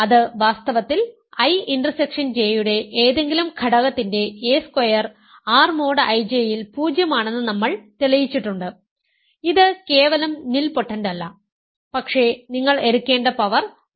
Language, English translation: Malayalam, In fact, we have shown that a square of any element of I intersection J is 0 in R mod I J it is not just nilpotent, but the power you need to take is just 2